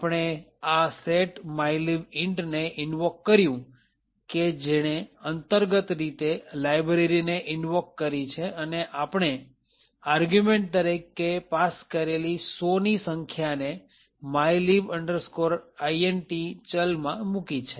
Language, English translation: Gujarati, We invoked this function as follows setmylib int which would internally invoke the library, said the value of mylib int to 100 because we are passing the argument 100